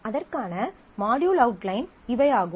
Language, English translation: Tamil, These are the module outline for that